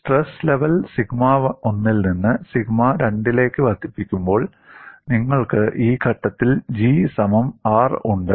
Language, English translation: Malayalam, When the stress level is increased from sigma 1 to sigma 2, you have at this point, G equal to R